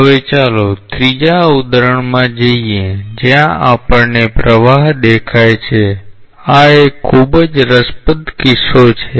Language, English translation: Gujarati, Now, let us look into a third example where we see a flow, this is a very interesting case